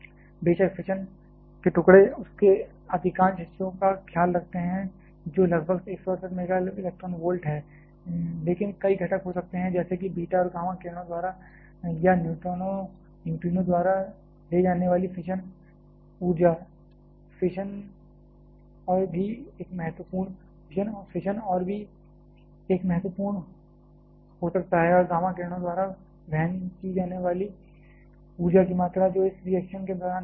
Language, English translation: Hindi, of course, the fission fragments take care of the majority part of that which is about 168 MeV, but there can be several components like fission energy carried by the beta and gamma rays or by the neutrinos, the fission and also there can be a significant amount of energy carried by the gamma rays which are released during this reaction